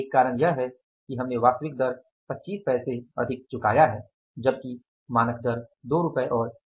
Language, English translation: Hindi, One reason is that we have paid the actual rate more by 25 pesos that standard rate was rupees 2 and 25 pesos